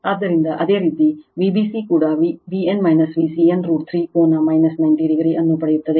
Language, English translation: Kannada, So, similarly V b c also you will get V b n minus V c n root 3 V p angle minus 90 degree